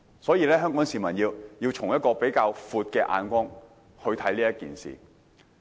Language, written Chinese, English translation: Cantonese, 所以，香港市民要以比較寬闊的眼光看待這事。, So members of the public in Hong Kong should look at this issue from a wider perspective